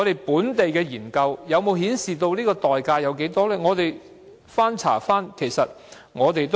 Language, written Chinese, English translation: Cantonese, 本地的研究有否顯示這代價有多大呢？, The cost is high . Are there any local studies showing the cost incurred?